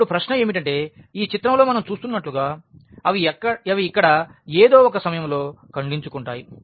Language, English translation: Telugu, Now, the question is that as we see in this picture that they intersect at some point here